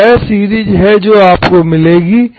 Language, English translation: Hindi, This is the series you will get